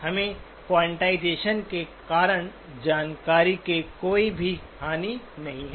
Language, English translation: Hindi, We do not have any loss of information due to quantization